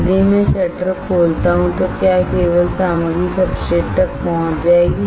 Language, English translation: Hindi, If I open the shutter then only the materials will reach the substrate right